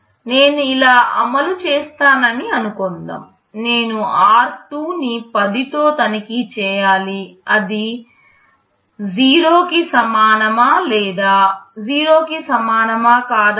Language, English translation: Telugu, Suppose I implement like this I have to check r2 with 10, whether it is equal to 0 or not equal to 0